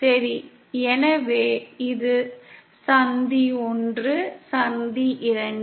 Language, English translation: Tamil, Ok so this is junction 1, junction 2